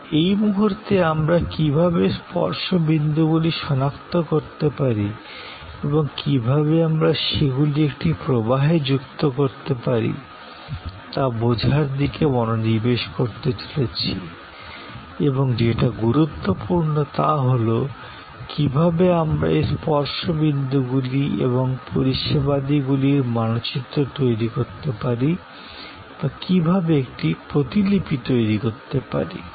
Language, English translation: Bengali, But, at the moment, we are going to focus on understanding that how we can identify the touch points and how we can link them in a flow and most importantly, how we can map or create a blue print of those touch points and services